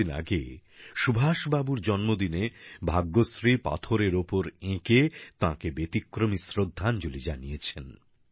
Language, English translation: Bengali, A few days ago, on the birth anniversary of Subhash Babu, Bhagyashree paid him a unique tribute done on stone